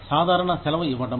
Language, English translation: Telugu, Provision of casual leave